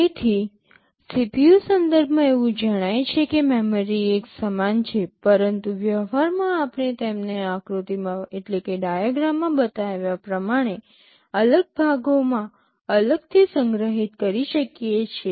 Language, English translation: Gujarati, So, with respect to CPU it appears that the memory is the same, but in practice we may store them separately in separate parts as this diagram shows